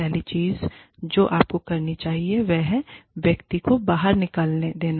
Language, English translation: Hindi, The first thing, you should do is, let the person, vent